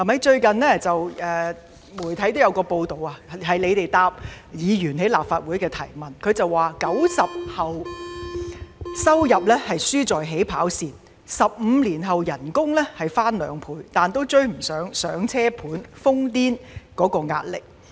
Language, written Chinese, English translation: Cantonese, 最近，有媒體報道政府回應立法會議員的質詢時指出 ，"90 後"的收入輸在起跑線 ，15 年後的薪金雖已翻兩倍，但仍未能追上"上車盤"樓市瘋癲的壓力。, Recently according to a media report in response to a question raised by a Legislative Council Member the Government pointed out that the income of the post - 90s did lose at the starting line and although their salaries have doubled after 15 years they were still unable to catch up with the frantic upward pressure of the Starter Homes